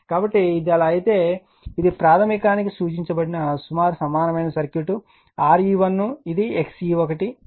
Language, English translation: Telugu, So, if it is so, then this is approximate equivalent your circuit referred to primary, right Re 1 is this one Xe 1 is this one